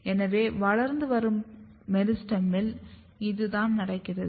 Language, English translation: Tamil, So, this is what happens in the meristem; growing meristem